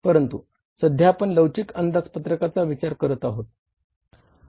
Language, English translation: Marathi, So, the answer is the flexible budgets